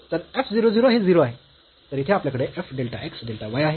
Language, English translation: Marathi, So, this f 0 0 is 0; so here we have f delta x delta y